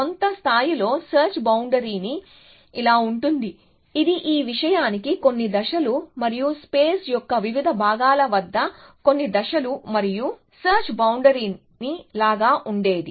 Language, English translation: Telugu, At some level, the search frontier would look like; it would have gone some steps to this thing and some steps down at different parts of the space and search frontier look like